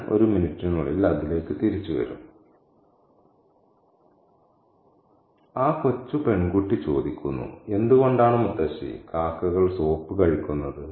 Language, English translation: Malayalam, I'll come back to that point in a minute and the little girl asks why Mutasi do crows eat soap